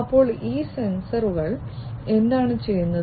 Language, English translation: Malayalam, So, these sensors what they do